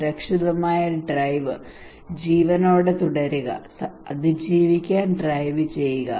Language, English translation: Malayalam, Safe drive, Stay alive, drive to survive